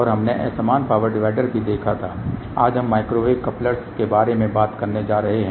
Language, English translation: Hindi, And we had also seen an equal power divider today we are going to talk about Microwave Couplers